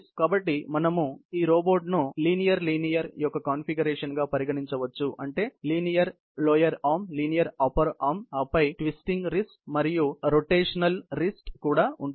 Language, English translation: Telugu, So, we can consider this robot to be a configuration of LL; that means linear lower arm, linear upper arm and then, followed by a twisting wrist, and also a rotating wrist